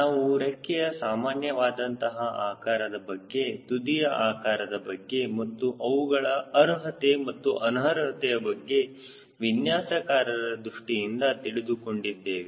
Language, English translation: Kannada, we have also talked about typical shapes of wing tips and what are their merits and demerits from designers point of view